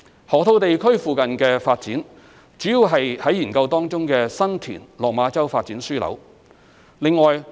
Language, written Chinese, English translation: Cantonese, 河套地區附近的發展主要是在研究當中的新田/落馬洲發展樞紐。, The development near the Loop is mainly the San TinLok Ma Chau Development Node which is currently under study